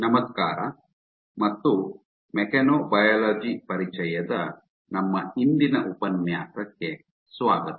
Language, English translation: Kannada, Hello and welcome to our todays lecture of Introduction to Mechanobiology